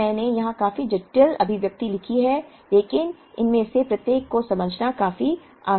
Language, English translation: Hindi, Now, I have written a fairly complicated expression here but it is quite easy to explain each of these